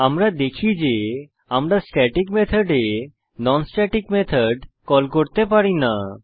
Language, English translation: Bengali, We see that we cannot call a non static method inside the static method So we will comment this call